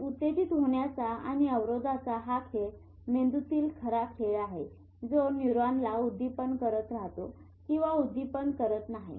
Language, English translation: Marathi, Because this game of excitation and inhibition is the real game in the brain which keeps neuron firing or not firing